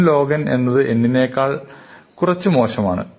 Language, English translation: Malayalam, n log n is only slightly worse than n